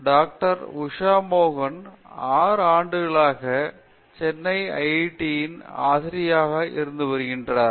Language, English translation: Tamil, Usha Mohan has been here at as a faculty in IIT, Madras for 6 years